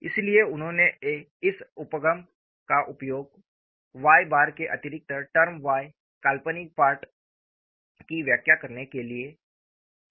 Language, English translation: Hindi, So, he used this approach to explain the additional term y imaginary part of Y bar